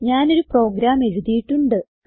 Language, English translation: Malayalam, I have a written program